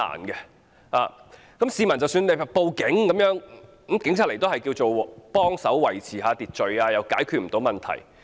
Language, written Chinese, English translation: Cantonese, 即使市民報案，警員到場也只能協助維持秩序，無法解決問題。, Even if someone called the Police police officers could only maintain order and were unable to resolve the problem